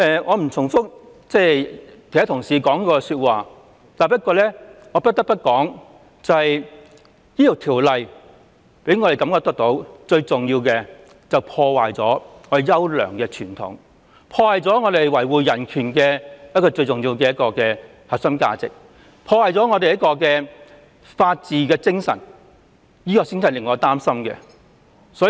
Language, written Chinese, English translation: Cantonese, 我不重複其他同事的論點，但我不得不說的是，我認為《條例草案》破壞了我們的優良傳統，破壞了我們維護人權的核心價值，破壞了法治精神，這就是我真正擔心的狀況。, I will not repeat the arguments raised by other colleagues but I have to say that in my opinion the Bill has ruined our fine tradition ruined our core value of upholding human rights and ruined the rule of law . This is the situation that I am genuinely worried about